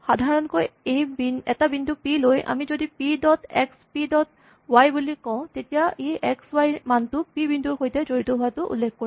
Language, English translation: Assamese, If you have a generic point p then we have p dot x, p dot y these will refer to the values x and y the names x and y associated with the point p